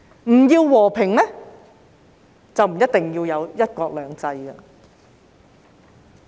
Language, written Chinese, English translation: Cantonese, 不要和平，就不一定要有"一國兩制"。, If we do not want peace then it is not a must to have one country two systems